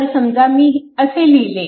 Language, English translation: Marathi, So, suppose I have written like this